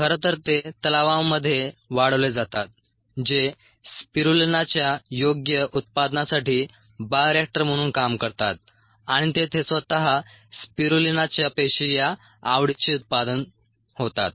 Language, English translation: Marathi, in fact they grown in ponds which act as bioreactors for the appropriate production of spirulina and there the spirulina cells, ah itself